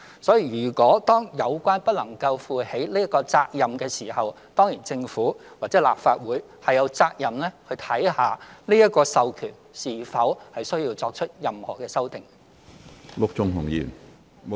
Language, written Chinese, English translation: Cantonese, 所以，如果有關組織不能夠負起這個責任時，政府或立法會當然有責任看看這個授權是否需要作出任何修訂。, As such if the relevant organizations have failed to take up this responsibility the Government or the Legislative Council is certainly obliged to examine whether it is necessary to amend the authorization